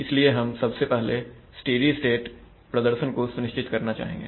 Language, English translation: Hindi, So we would first like to ensure steady state performance